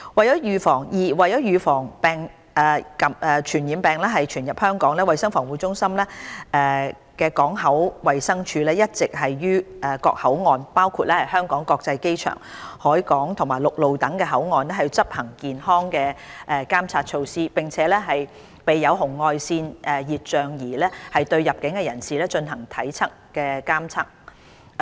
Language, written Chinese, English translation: Cantonese, 二為預防傳染病傳入香港，衞生防護中心港口衞生處一直於各口岸，包括香港國際機場、海港及陸路等口岸，執行健康監察措施，並備有紅外線熱像儀對入境人士進行體溫監測。, 2 To prevent the spread of infectious diseases into Hong Kong the Port Health Office of the Centre for Health Protection CHP has been carrying out health surveillance at all boundary control points including the Hong Kong International Airport seaports and ground crossings with the use of infrared thermal imaging systems for body temperature checks on inbound travellers